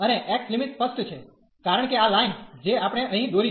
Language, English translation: Gujarati, And the x limits are clear, because these lines which we have drawn here